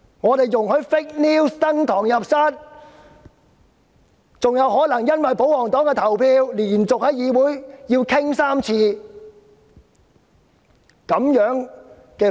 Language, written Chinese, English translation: Cantonese, 我們容許假新聞登堂入室，更可能因為保皇黨的投票而連續在議會辯論3次假新聞。, We have allowed the fake news to reach a higher level and the fake news may be debated for three times in a row in this Council owing to the voting by the royalists